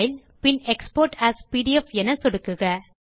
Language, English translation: Tamil, Click on File and Export as PDF